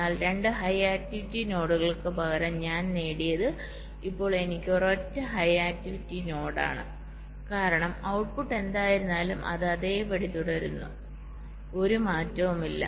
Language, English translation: Malayalam, instead of two high activity nodes, now i have a single high activity node because output, whatever it was, a, it remains same